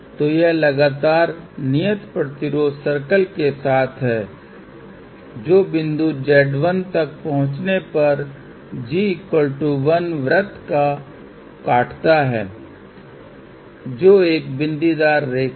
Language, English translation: Hindi, So, this is the step move along constant resistance circle to reach point Z 1 intersecting g equal to 1 circle which is a dotted line